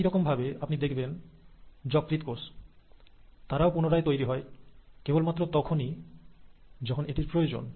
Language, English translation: Bengali, Same example, similarly you find that the liver cells, they regenerate, they divide only when the need is